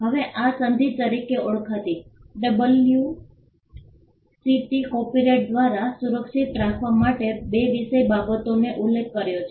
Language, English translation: Gujarati, Now this treaty also called as the WCT mentions two subject matters to be protected by copyright